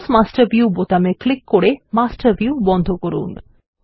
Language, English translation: Bengali, Close the Master View by clicking on the Close Master View button